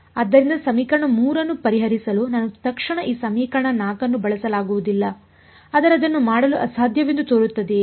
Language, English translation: Kannada, So, I cannot immediately use this equation 4 to solve equation 3, but does it look impossible to do